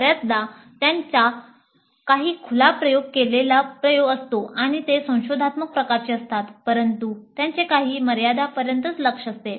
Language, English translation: Marathi, Often they have certain open ended experimentation and they are exploratory in nature but they do have certain limited focus